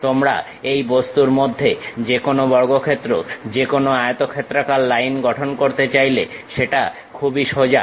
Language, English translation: Bengali, You would like to construct any square, any other rectangle line within the object it is pretty straight forward